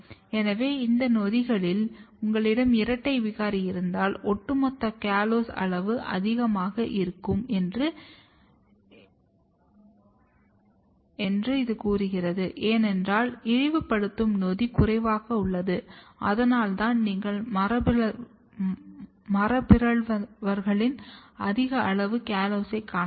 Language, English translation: Tamil, So, if you have double mutant in the this enzymes, what happens that the overall callose level is going to be high, because the enzyme which is degrading is less and that is why you can see in the mutants high amount of callose